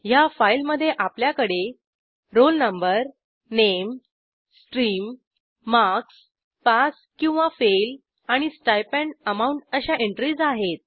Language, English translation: Marathi, In this file we have some enteries like roll no, name, stream, marks, pass or fail and the stipend amount